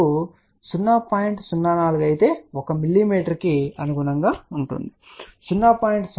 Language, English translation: Telugu, 04 inches will correspond to 1 mm ok, 0